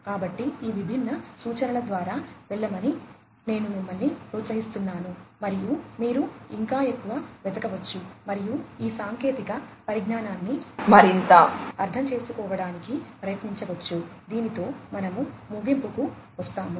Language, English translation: Telugu, So, I would encourage you to go through these different references and you could search for even more and try to understand these technologies even further with this we come to an end